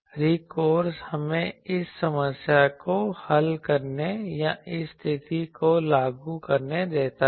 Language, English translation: Hindi, The recourse is let us solve this or enforce this condition